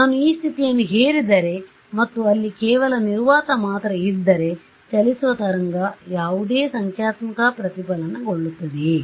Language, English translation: Kannada, If I impose this condition and there is actually only vacuum over there, then right traveling wave will it see any numerical reflection